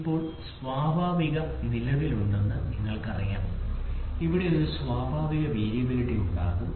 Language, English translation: Malayalam, Now, you know there is natural existing there is a natural variability will be there